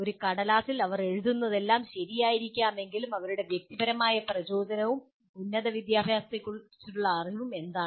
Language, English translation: Malayalam, Though whatever they write on a piece of paper may be all right, but what is their personal motivation and their knowledge of higher education